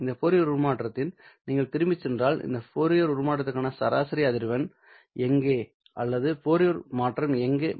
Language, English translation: Tamil, Well, if you go back to this Fourier transform, where is the average frequency of this Fourier transform or where is the Fourier transform centered at, it is centered at 0 hertz